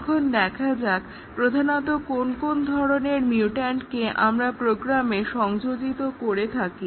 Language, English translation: Bengali, Now, let us see what are the typical types of mutants that we introduce into the program